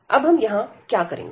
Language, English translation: Hindi, And now what we will do here